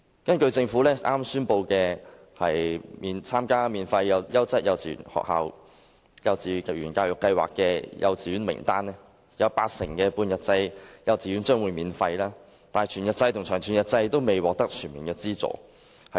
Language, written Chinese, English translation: Cantonese, 根據政府剛公布的數字，參加免費優質幼稚園教育計劃的幼稚園，有八成的半日制幼稚園將會免費，但全日制及長全日制幼稚園未能獲得全面資助。, According to the figures just released by the Government among kindergartens joining the Free Quality Kindergarten Education Scheme 80 % of half - day kindergartens will be fully subsidized but full - day kindergartens and long whole - day kindergartens will not be fully subsidized